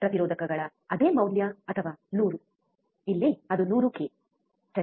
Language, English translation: Kannada, Same value of resistors or 100, here it is 100 k, right